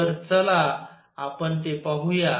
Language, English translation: Marathi, So, let us let us see that